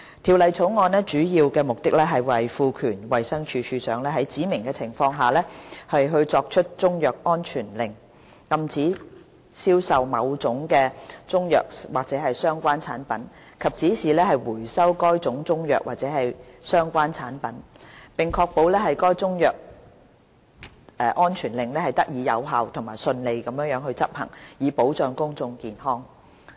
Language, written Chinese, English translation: Cantonese, 《條例草案》的主要目的，在於賦權衞生署署長在指明的情況下作出中藥安全令，禁止銷售某種中藥或相關產品，以及指示回收該種中藥或相關產品，並確保該中藥安全令得以有效和順利執行，以保障公眾健康。, The main purpose of the Bill is to empower the Director of Health to make a Chinese medicine safety order CMSO to prohibit the sale and direct the recall of a Chinese medicine or related product under specified circumstances and ensure effective and smooth enforcement of a CMSO in order to safeguard public health